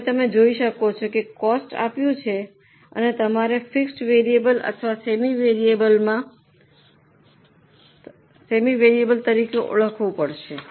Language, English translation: Gujarati, Now you can see here costs are given and you have to identify them as fixed variable or semi variable